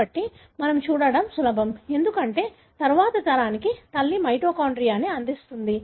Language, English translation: Telugu, So, it is easy for us to see because always the mother contributes the mitochondria to the next generation